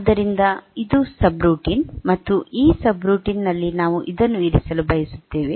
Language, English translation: Kannada, So, this is the subroutine and we want that in this subroutine